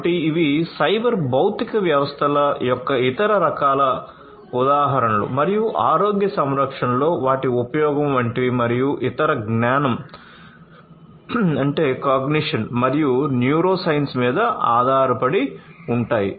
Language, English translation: Telugu, So, these are like different other types of examples of cyber physical systems and their use in healthcare and these are based on cognition and neuroscience